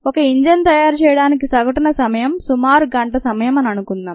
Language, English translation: Telugu, and let us say that the time on the average for the manufacture of an engine is about an hour